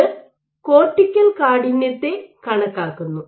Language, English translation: Malayalam, So, this provides estimates cortical stiffness